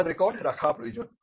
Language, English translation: Bengali, So, this requires record keeping